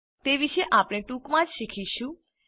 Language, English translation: Gujarati, We will learn about them in a little while